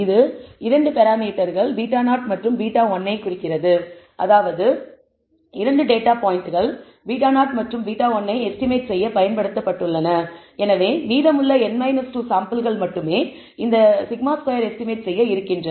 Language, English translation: Tamil, It had 2 parameters beta naught and beta 1 which represents means that 2 of the data points have been used to estimate beta naught and beta 1 and therefore, only the remaining n minus 2 samples are available for estimating this sigma squared